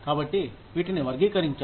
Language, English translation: Telugu, So, these are classified